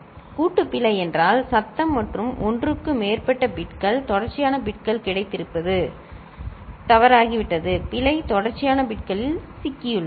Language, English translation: Tamil, Bust error means because the noise and all more than one bits, consecutive bits have got have become wrong ok, error has got into consecutive bits